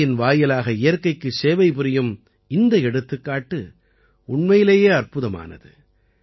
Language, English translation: Tamil, This example of serving nature through art is really amazing